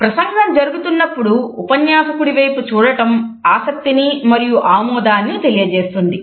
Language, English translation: Telugu, Looking at the speaker during the talk suggest interest and agreement also